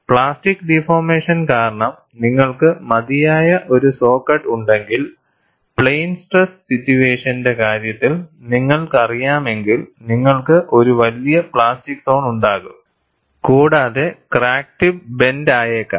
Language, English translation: Malayalam, If you have a saw cut which is wide enough, because of plastic deformation and you know in the case of plane stress situation, you will have a larger plastic zone, the crack tip may get blunt